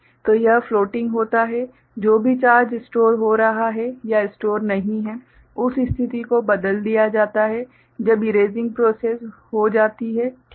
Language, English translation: Hindi, So, this floating at whatever charge is getting stored or not stored that condition is altered when the erasing process is done, alright